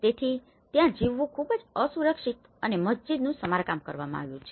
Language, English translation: Gujarati, So, it is very unsafe to live and the mosque which has been repaired